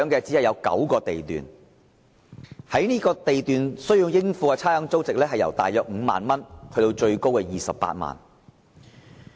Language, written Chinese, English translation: Cantonese, 只有9個地段須繳交差餉，而應付差餉租值由約5萬元至最高28萬元不等。, Only 9 lots are liable to rates payment and the ratable values range from about 50,000 to the highest of 280,000